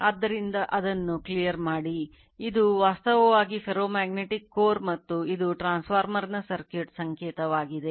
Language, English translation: Kannada, So, let me clear it so, this is actually ferromagnetic core and this is your the your circuit symbol of a transformer